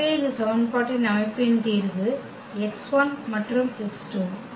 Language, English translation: Tamil, So, here the one possibility of the solution is that x 1 is 1 and x 2 is also 1